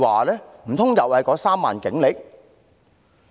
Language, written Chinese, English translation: Cantonese, 難道又是那3萬警力？, Is it the 30 000 - strong Police Force again?